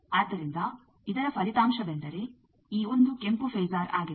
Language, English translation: Kannada, So, the resultant is this red 1 phasor